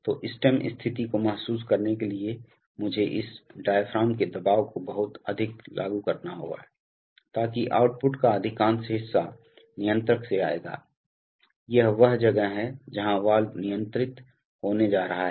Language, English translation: Hindi, So for realizing this much of stem position I have to apply this much of diaphragm pressure, so that much of output will come from the controller, this is the, where the valve is going to be controlled